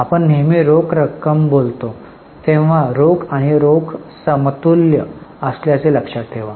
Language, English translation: Marathi, Always keep in mind that when we say cash it refers to cash and cash equivalents